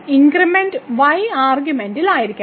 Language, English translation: Malayalam, So, the increment has to be in argument